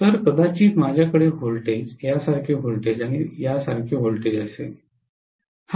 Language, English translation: Marathi, So I am going to have maybe a voltage like this, voltage like this and voltage like this